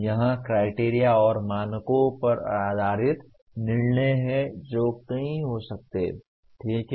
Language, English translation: Hindi, That is make judgment based on criteria and standards which can be many, okay